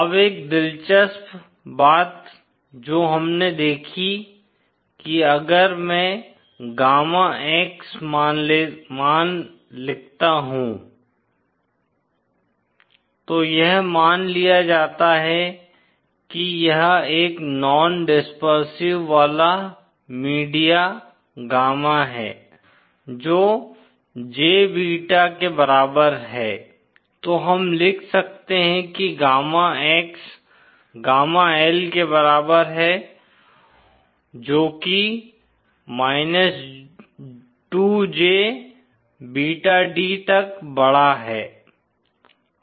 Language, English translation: Hindi, Now one interesting thing that we observed if I write the gamma X value now assuming this is a non dispersive media gamma is equal to jbeta then we can write gamma X is equal to gamma L raised to 2jbeta d